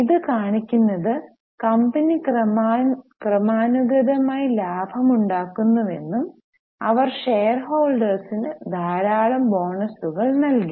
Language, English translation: Malayalam, Which shows that the company is steadily profit making company and they have given lot of bonuses to their shareholders